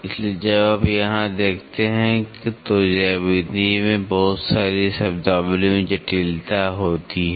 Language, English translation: Hindi, So, when you look at here there is lot of complexity in the geometry lot of terminologies